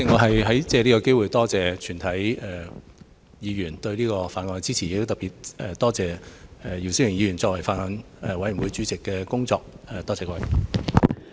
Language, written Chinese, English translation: Cantonese, 代理主席，我藉此機會多謝全體議員支持《條例草案》，亦特別多謝姚思榮議員作為法案委員會主席所做的工作。, Deputy President I would like to take this opportunity to thank all Members for their support to the Bill . In particular I would like to thank Mr YIU Si - wing for the efforts that he made in his capacity as the Chairman of the Bills Committee